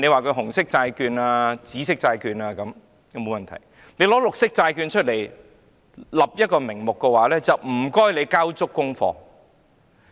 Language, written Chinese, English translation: Cantonese, 推出"紅色"或"紫色"債券並無問題，但如果以"綠色債券"作為發債名目，當局便應交足功課。, Had it been the issuance of red bonds or purple bonds it would not have been a problem . Yet when the authorities use the name green bonds they should do some homework